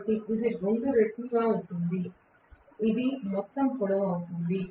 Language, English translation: Telugu, So, this is going to be 2 times, this will be the overall length of